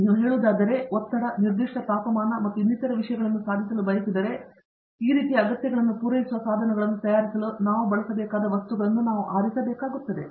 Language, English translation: Kannada, If you letÕs say, you want to achieve a pressure, certain temperature and so on, we need to select materials which will be used to fabricate the equipment which can deliver these kinds of requirements